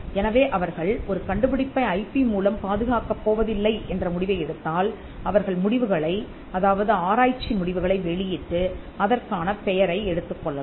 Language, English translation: Tamil, So, if they take a call that they will not protect it by way of an IP, then they can publish the result research results and get the credit for the same